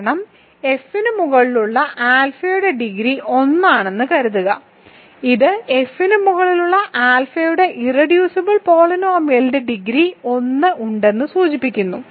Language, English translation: Malayalam, This is because suppose degree of alpha over F is 1, this implies the irreducible polynomial of alpha over F has degree 1